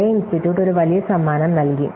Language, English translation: Malayalam, So, with the Clay Institute as an awarded a large price